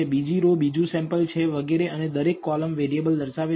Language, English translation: Gujarati, And the second row is the second sample and so on and each column represents a variable